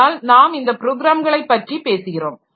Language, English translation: Tamil, But what we are talking about is these programs